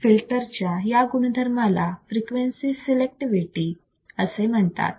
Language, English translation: Marathi, This property of filter is also called frequency selectivity